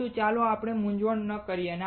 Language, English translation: Gujarati, But let us not get confused